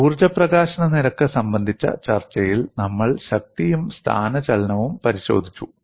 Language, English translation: Malayalam, See, in the discussion of energy release rate, we have looked at the force and displacement